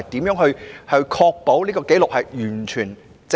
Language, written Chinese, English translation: Cantonese, 如何確保有關紀錄完全正確？, Are there any ways to ensure that the records are completely accurate?